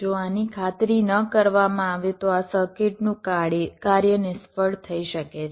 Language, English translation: Gujarati, so so if this is not ensured, your this operation of this circuit might fail, ok